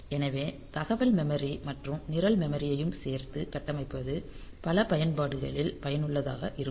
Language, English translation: Tamil, So, which can be configured both as data memory and program memory so, that may be useful in many applications